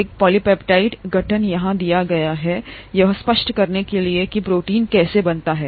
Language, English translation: Hindi, A polypeptide formation is given here to illustrate how a protein gets made